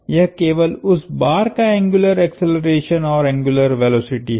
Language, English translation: Hindi, It is simply the angular acceleration and angular velocity of that bar